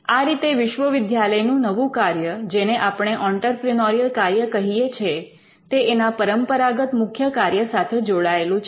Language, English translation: Gujarati, So, this is how the new function of a university what we call the entrepreneurial function is tied to one of its existing primary functions